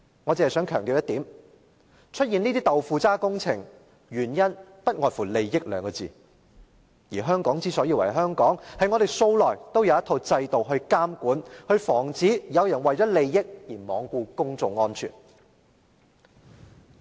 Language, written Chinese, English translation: Cantonese, 我只想強調一點，出現這些"豆腐渣"工程，原因不外乎利益二字，而香港之所以為香港，是因為我們素來也有一套制度來監管和防止有人為了利益而罔顧公眾安全。, I only want to stress one point that is the emergence of such a shoddy project is simply attributed to the pursuit of interests and the reason why Hong Kong is Hong Kong is that we have a set of well - established regulatory regimes to prevent people from seeking interests at the expense of public security